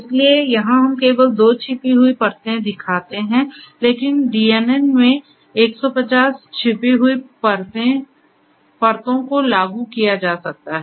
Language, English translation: Hindi, So, here we show only 2 layers, hidden layers, but you know in a DNN up to 150 hidden layers can be implemented